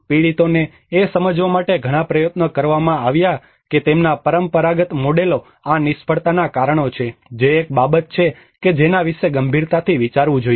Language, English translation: Gujarati, So many attempts were made to make the victims realize that their traditional models are the reasons for these failures that is one thing one has to seriously think about it